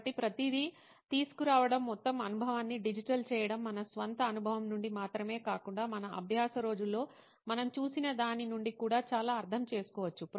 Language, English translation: Telugu, So bringing everything, making the entire experience digital makes a lot of sense not only from our own experience but also from what we have seen through our learning days